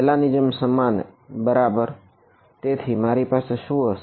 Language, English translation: Gujarati, Same as before right; so, what will I have